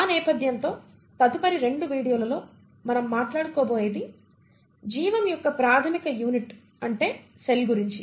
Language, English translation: Telugu, So with that background in the next 2 videos what we are going to talk about, are the very fundamental unit of life which is the cell